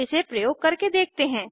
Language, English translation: Hindi, Now Let us use it in our program